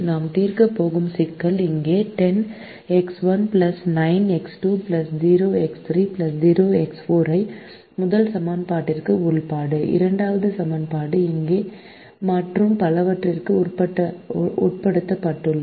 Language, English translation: Tamil, the problem that we are going to solve is given here: maximize ten x one plus nine x two plus zero, x three plus zero x four, subject to subject to the first equation here, second equation here, and son on